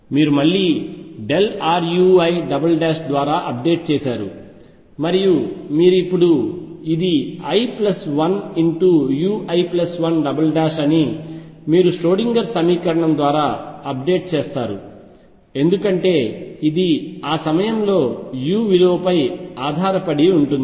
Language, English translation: Telugu, You again update by delta r u I double prime and you now update this is i plus 1 u i plus 1 double prime you update through the Schrödinger equation, because this depends on the value of u at that point